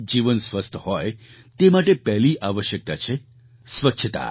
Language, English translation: Gujarati, The first necessity for a healthy life is cleanliness